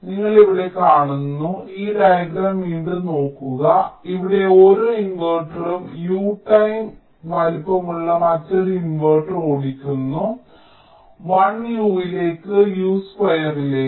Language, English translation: Malayalam, you see, here, you look at this diagram again ah, here each inverter is driving another inverter which is u time larger, one into u, u, u, into u, u square